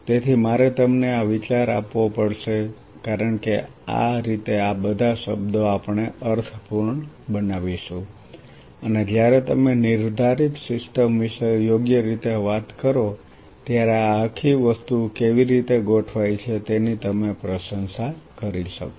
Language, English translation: Gujarati, So, I have to give you this idea because that way all these words we will make sense and you will be able to appreciate that how this whole thing is orchestrated when we talk about a defined system right